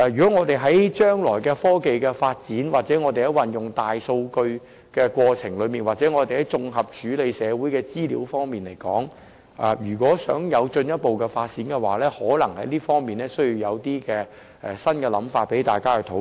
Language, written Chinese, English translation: Cantonese, 在我們將來的科技發展或運用"大數據"的過程中或就綜合處理社會資料而言，如想有進一步發展，在這方面可能需要提出一些新構思，讓大家進行討論。, In the process of technological development or using big data in the future or as far as integrated processing of social information is concerned if we wish to achieve further progress new initiatives may need to be proposed in this regard for discussion